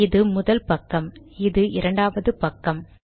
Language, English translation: Tamil, Okay this is the second page